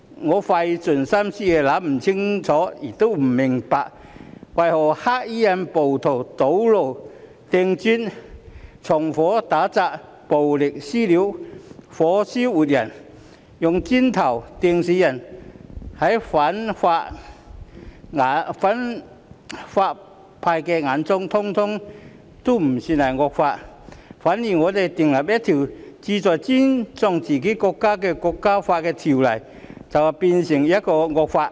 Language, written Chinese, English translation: Cantonese, 我費盡心思亦想不清楚、想不明白，為何在反對派眼中，黑衣暴徒堵路、掟磚、縱火、打砸、暴力"私了"、火燒活人、用磚頭"掟"死人等，通通不算是惡行，反而我們訂立一項旨在尊重自己國家國歌的條例，卻是一項惡法。, I have tried so hard but still failed to figure out and understand why in the eyes of the opposition camp those black - clad rioters who blockaded roads hurled bricks committed arson carried out assaults and vandalism perpetrated violent vigilante attacks set a living person on fire killed a person by hurling bricks at him etc have not committed any deeds which are considered as evil . However when we seek to enact an ordinance that promotes respect for the national anthem of our own country it would be an evil law